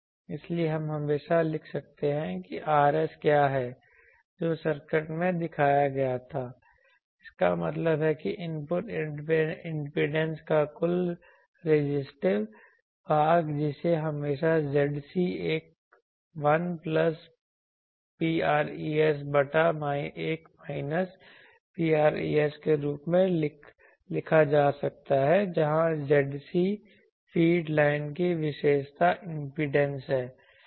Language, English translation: Hindi, So, what is finding that we can always write what is the Rs that was shown in the circuit, that means the total resistive part of the input impedance that can be always written as Zc 1 plus rho res by 1 minus rho res where Zc is the characteristic impedance of the feed line